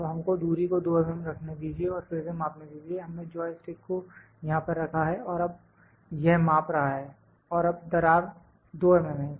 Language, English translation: Hindi, Now, let us keep the distance as 2 mm and measure it again, we have kept the joystick here and it is now measuring now, the gap is 2 mm